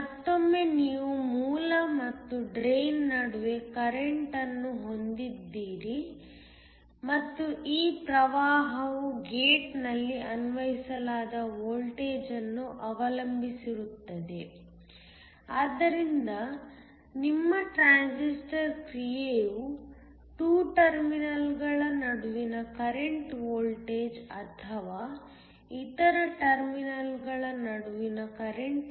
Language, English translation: Kannada, Once again you have a current between a source and the drain and this current will depend upon the voltage that is applied at the gate, so that is your transistor action where the current between 2 terminals depends upon the voltage or the current between the other terminals